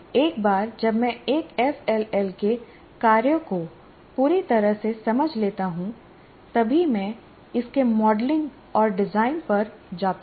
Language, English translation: Hindi, So once I fully understand the function of an FLL, then only I can go to actual, it's modeling and design